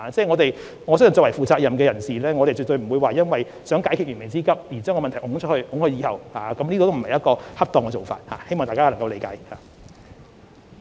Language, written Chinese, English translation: Cantonese, 我相信作為負責任的官員，絕對不應為解決燃眉之急而把問題延後解決，這不是恰當的做法，希望大家能夠理解。, I believe that any government official with a sense of responsibility will not put problems aside just to meet urgent needs . This is not an appropriate approach . We hope you all will understand